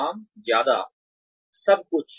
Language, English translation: Hindi, Plus, minus, everything